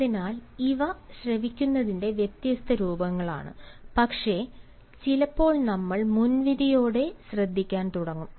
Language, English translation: Malayalam, so these are the different forms of listening, but sometimes we start listening with a prejudice